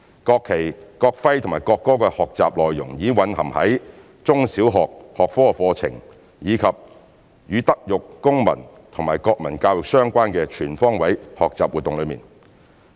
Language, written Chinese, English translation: Cantonese, 國旗、國徽和國歌的學習內容已蘊含於中小學學科課程，以及與德育、公民及國民教育相關的全方位學習活動內。, Knowledge about national flag national emblem and national anthem has been incorporated into different subjects at primary and secondary levels as well as life - wide learning activities related to moral civic and national education